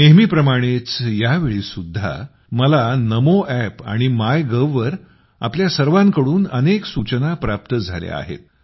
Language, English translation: Marathi, As always, this time too, I have received numerous suggestions from all of you on the Namo App and MyGov